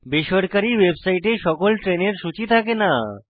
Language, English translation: Bengali, Not all trains are listed in private website